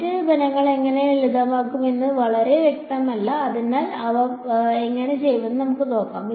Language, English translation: Malayalam, The other terms it is not very clear how they will get simplified ok, so, let us let us see how they will